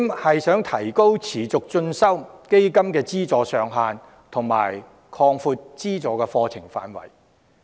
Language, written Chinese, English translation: Cantonese, 第四，提高持續進修基金的資助上限，以及擴闊資助範圍。, My fourth proposal is to raise the subsidy ceiling for the Continuing Education Fund and expand the funding scope